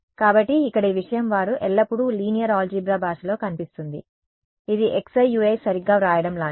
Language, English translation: Telugu, So, this thing over here they always appeared in the language of linear algebra it was like writing x i u i right